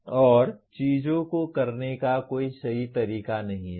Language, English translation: Hindi, And there is no one correct way of doing things